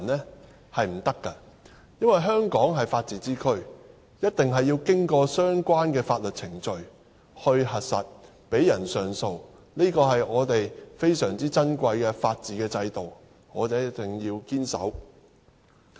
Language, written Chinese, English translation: Cantonese, 是不可以的，因為香港是法治之區，一定要經過相關的法律程序來核實，讓人上訴，這是我們非常珍貴的法治制度，我們一定要堅守。, It is because Hong Kong is a place upholding the rule of law . We need to verify their status through the relevant legal process and we should allow them to appeal . The rule of law system in Hong Kong is extremely precious to us thus we have to uphold it at all cost